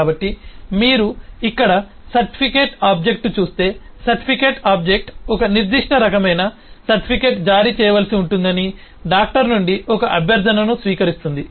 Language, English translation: Telugu, so if you look at the certificate object here, then the certificate object receives a request form the doctor that a certain type of certificate will have to be issued